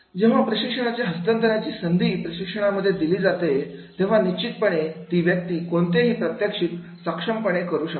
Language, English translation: Marathi, If the opportunity of transfer of training is given to the trainee, then definitely he will be able to demonstrate in a better way